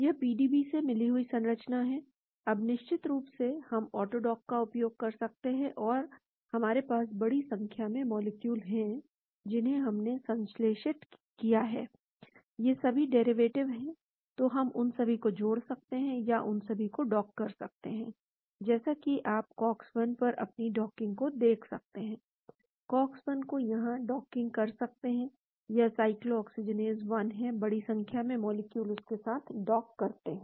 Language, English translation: Hindi, This is the structure from the PDB, now of course, we can use the Auto dock and we have large number of molecules, which we have synthesized, all of them are derivatives , so we can bind all of them or dock all of them as you can see your docking to the cox 1, docking to the cox 1 here, this is the cyclooxygenase 1, large number of molecules docking to that